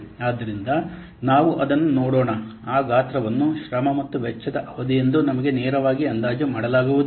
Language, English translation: Kannada, So let's see that we know that size as effort and cost duration they cannot be directly estimated